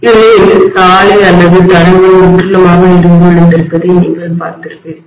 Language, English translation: Tamil, Otherwise you would have seen that the road or the tracks would have collapsed completely